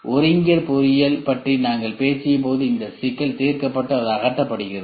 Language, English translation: Tamil, When we talked about concurrent engineering this problem is tackled and it is removed